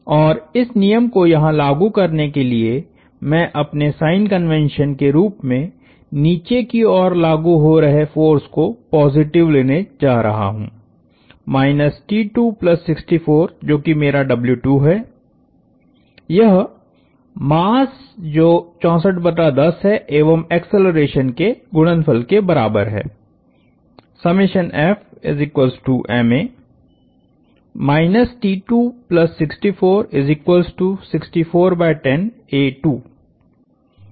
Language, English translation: Hindi, And I am going to take downward forces positive as my convention for this particular for applying this law here, minus T 2 plus 64, which is my W 2 equals the mass, which is 64 divided by 10 times acceleration